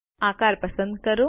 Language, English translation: Gujarati, Select the shape